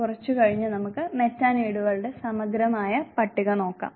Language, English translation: Malayalam, Little later we will look at exhaustive list of Metaneeds